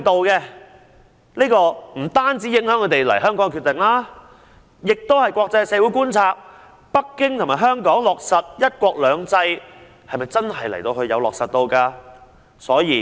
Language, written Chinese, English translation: Cantonese, 這不單影響他們來港的決定，亦令國際社會質疑北京和香港是否真的有落實"一國兩制"。, Not only will foreigners decision to come to Hong Kong be affected the international community will also question whether Beijing and Hong Kong have genuinely implemented the one country two systems policy